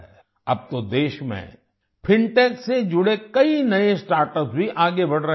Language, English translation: Hindi, Now many new startups related to Fintech are also coming up in the country